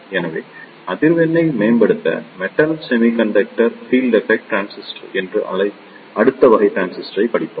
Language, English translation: Tamil, So, to improve the frequency, we studied the next type of transistor that is Metal Semiconductor Field Effect Transistor